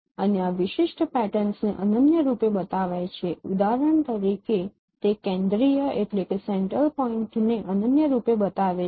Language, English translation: Gujarati, And this is uniquely identifying this particular pattern, for example, it uniquely identifies the central point